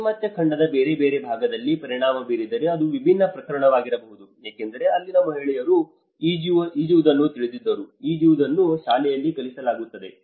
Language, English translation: Kannada, It may be a different case if it has affected in a different part of the Western continent because the women they know how to swim; they are taught in the school